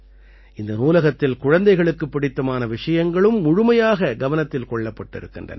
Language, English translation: Tamil, In this library, the choice of the children has also been taken full care of